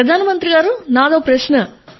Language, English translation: Telugu, Prime Minister I too have a question